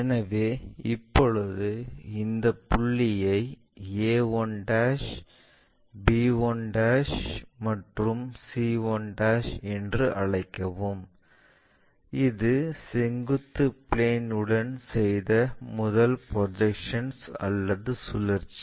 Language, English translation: Tamil, So, now, call these points as a 1', b 1' and c 1', this is the first projection or rotation what we made with vertical plane